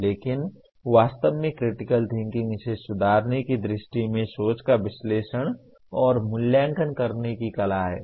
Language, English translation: Hindi, But actually critical thinking is the art of analyzing and evaluating thinking with a view to improving it